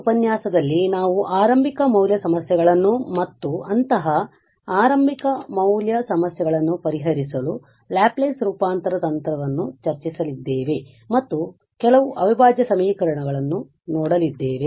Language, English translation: Kannada, So, in this lecture we will be discussing the initial value problems and the Laplace transform technique for solving such initial value problems and also, we will go through some integral equations